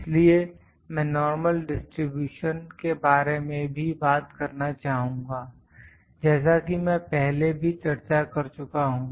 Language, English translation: Hindi, So, this I would like to talk in normal distribution as well I discussed this before also